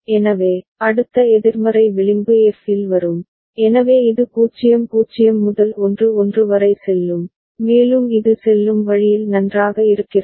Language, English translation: Tamil, So, next negative edge will come at f, so it goes from 0 0 to 1 1, and this way it goes on is it fine ok